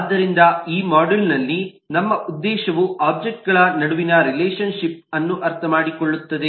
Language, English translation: Kannada, so our objective in this module understands the relationship amongst objects